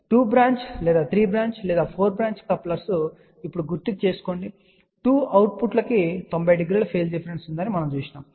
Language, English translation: Telugu, Just recall now in the case of 2 branch or 3 branch or 4 branch couplers, we had seen that the 2 outputs had a phase difference of 90 degree